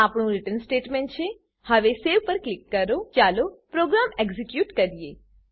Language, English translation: Gujarati, This is our return statement Now Click on Save Let us execute the program